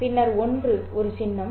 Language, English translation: Tamil, And then one is a symbol